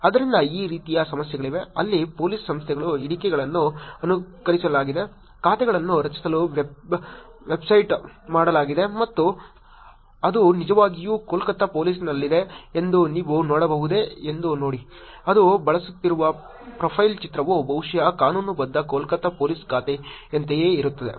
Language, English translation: Kannada, Therefore, there are these kind of problems where Police Organizations handles have been mimicked, mastibated to create accounts and see if you can see it actually has at Kolkata Police; the profile picture that it is using is probably the same as a legitimate Kolkata Police account also